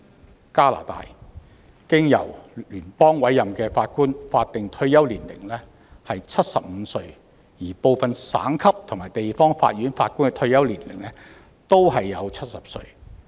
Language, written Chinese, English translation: Cantonese, 在加拿大，經由聯邦委任的法官的法定退休年齡為75歲，而部分省級和地方法院法官的退休年齡則為70歲。, In Canada the statutory retirement age for federally appointed Judges is 75 and the retirement age for Judges of some provincial and territorial courts is 70